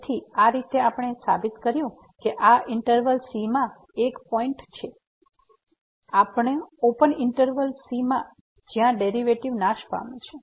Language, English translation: Gujarati, So, in this way we have proved this that there is a point in this interval , in the open interval where the derivative vanishes